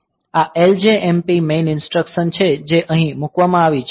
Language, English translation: Gujarati, So, this is the instruction LJMP main that is put here